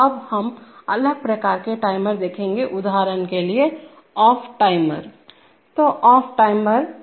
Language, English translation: Hindi, So now we look at the other different types of timers for example off delay